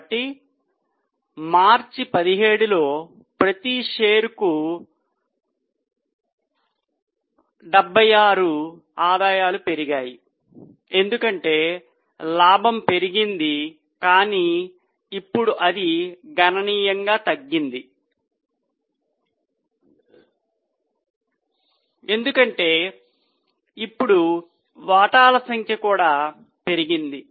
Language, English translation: Telugu, So, 76, the earning per share has increased in March 17 because the profits have gone up but now it has significantly decreased because number of shares have also increased now